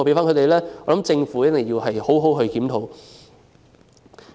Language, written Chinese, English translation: Cantonese, 我認為政府一定要好好檢討。, I think the Government must conduct a thorough review